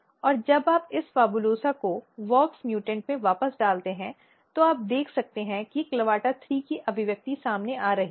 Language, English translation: Hindi, And when you put back this PHABULOSA in wox mutant that what you can see that the expression of clavata3 is coming up